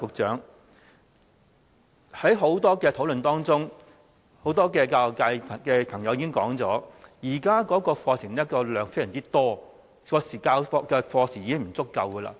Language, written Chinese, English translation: Cantonese, 在很多討論當中，不少教育界朋友都表示，現在課程內容非常多，授課時間已經不足夠。, Throughout the many discussions many people in the education sector have been saying that the existing curriculum is very dense and lesson time is already insufficient